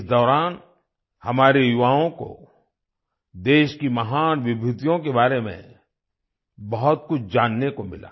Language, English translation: Hindi, During this, our youth got to know a lot about the great personalities of the country